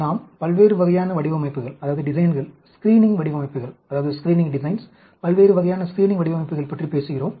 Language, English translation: Tamil, We have been talking about various types of designs, screening designs, various types of screening designs